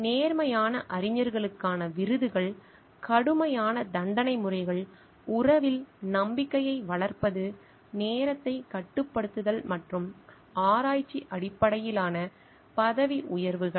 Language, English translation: Tamil, Awards to honest scholars, strict punishment regimes, fostering trust in relationship, fostering time bound and research based promotions